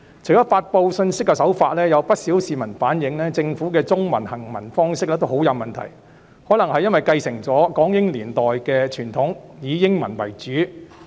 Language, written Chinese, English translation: Cantonese, 除了發布信息的手法，有不少市民反映政府的中文行文很有問題，可能是因為繼承了港英年代的傳統，以英文為主。, In addition to information dissemination many members of the public have relayed that there are problems with the Governments Chinese texts probably stemming from a tradition that dates back to the British Hong Kong era with English as the principal language